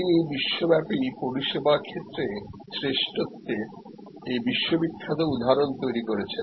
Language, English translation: Bengali, He created this global excellence this world famous example of service excellence